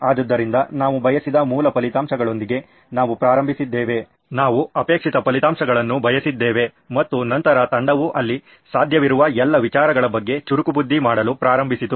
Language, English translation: Kannada, So we started with the basic results that we wanted, desired results that we wanted and then the team started brainstorming on what all possible ideas there could be